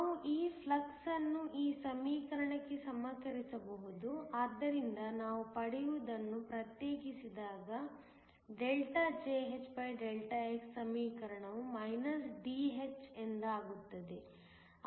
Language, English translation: Kannada, We can equate this flux to this equation, so that when we differentiate what we get, Jhδx is Dh